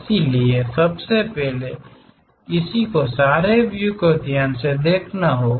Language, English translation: Hindi, So, first of all, one has to visualize the views carefully